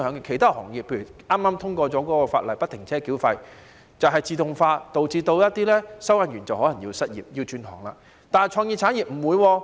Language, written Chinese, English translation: Cantonese, 其他行業例如剛才通過有關不停車繳費的法案，便是自動化導致一些收費員可能失業，要轉行，但創意產業不會。, Toll collectors will become unemployed when the collection of tolls becomes fully automated and they will then have to find a job in other industries . But this will not happen in the creative industry